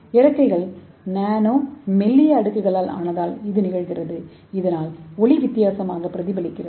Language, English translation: Tamil, So why it is happening, this happened because the wings are made up of Nano thin layers that cause the light to reflect differently